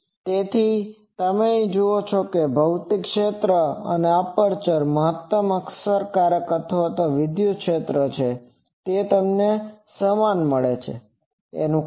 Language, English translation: Gujarati, So, you see that physical area and the aperture the maximum effective or electrical area, they are same; why